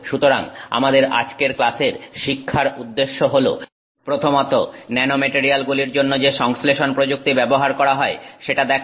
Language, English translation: Bengali, So, the learning objectives for our class today is first of all to look at synthesis technique that is used for nanomaterials